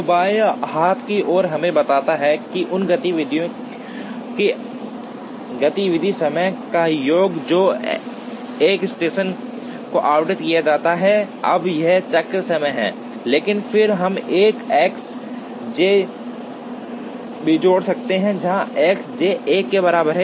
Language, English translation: Hindi, So, the left hand side tells us, the sum of the activity times of those activities that are allotted to a station, now this is the cycle time, but then we could also add an S j, where S j equal to 1 when the station is chosen